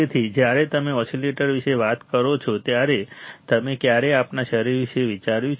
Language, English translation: Gujarati, So, when you talk about oscillators have you ever thought about our body right